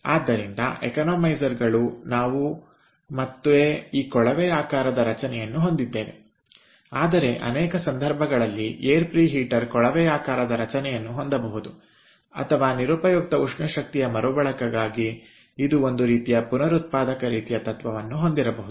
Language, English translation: Kannada, so ah, economizers ah, we will have ah again, this tubular structure, whereas air preheator in many cases it can have a tubular structure or it can have some sort of a regenerative kind of principle for, ah, extracting waste heat